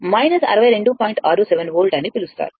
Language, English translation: Telugu, 67 volt right